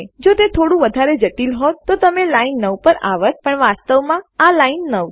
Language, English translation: Gujarati, If it were a bit more complex, you came to line 9, but this is in fact line 9